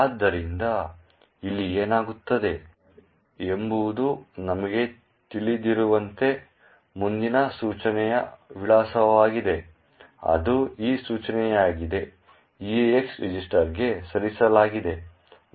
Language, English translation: Kannada, So, as we know what happens over here is the address of the next instruction that is this instruction gets moved into the EAX register